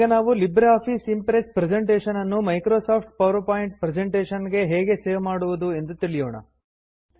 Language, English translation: Kannada, Next,lets learn how to save a LibreOffice Impress presentation as a Microsoft PowerPoint presentation